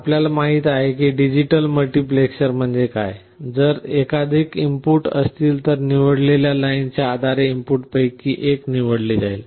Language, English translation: Marathi, You know what is the digital multiplexer is; if there are multiple inputs, one of the inputs are selected based on the select lines